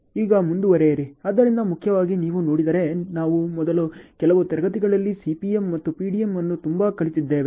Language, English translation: Kannada, Now, moving on into, so primarily if you have seen, we have covered CPM and PDM very much in the first few classes